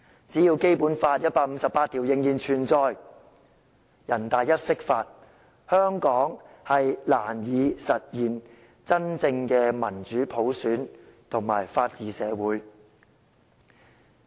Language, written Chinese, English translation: Cantonese, 只要《基本法》第一百五十八條仍然存在，只要人大釋法，香港將難以實現真正的民主普選及法治社會。, As long as Article 158 of the Basic Law is in place and as long as NPCSC can make interpretations of the Basic Law it will be difficult for Hong Kong to implement genuine democratic popular elections and rule of law in society